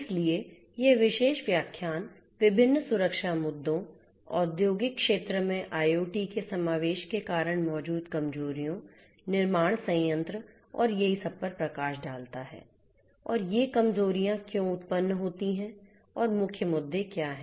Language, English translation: Hindi, So, this particular lecture will give an highlight of the different security issues, the vulnerabilities that exist due to the incorporation of you know IoT in the industrial sector, manufacturing plants and so on and why these vulnerabilities arise and what are the main issues and so on